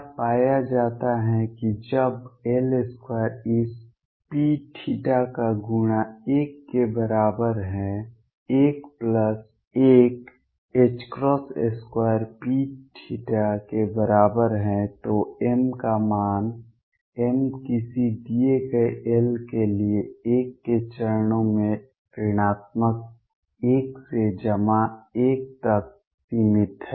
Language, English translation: Hindi, What is found is that when L square times this p theta is equal to l, l plus 1, h cross square P theta then the value of m; m is restricted to for a given l to being from minus l to plus l in steps of one